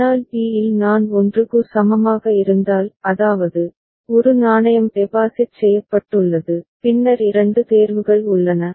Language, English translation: Tamil, But at state b if I is equal to 1; that means, a coin has been deposited then there are two choices